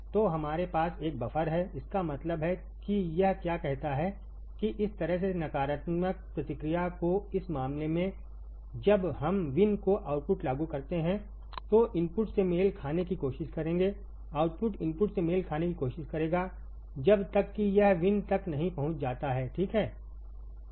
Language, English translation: Hindi, So, V have here is nothing, but a buffer; that means, that what it says that the inverting this way negative feedback in this case the when we apply V in the output will try to match the input the output will try to match the input until it reaches the V in, right